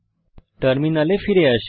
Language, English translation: Bengali, Come back to a terminal